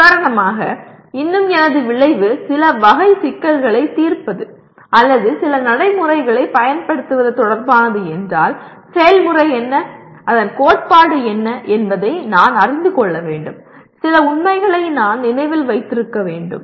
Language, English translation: Tamil, For example if I am still my outcome is related to solving certain type of problems or applying certain procedures but I should know what the procedure is and what the theory of that is and I must remember some facts